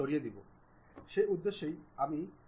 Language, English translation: Bengali, So, for that purpose what I will do